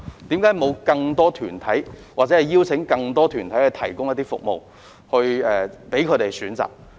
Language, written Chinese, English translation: Cantonese, 為何沒有邀請更多團體提供服務以供選擇？, Why did PICO not invite more organizations to provide choices of services?